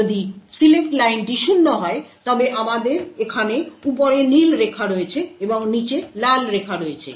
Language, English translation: Bengali, If the select line is 0 then we have the blue line on top over here and the red line at the bottom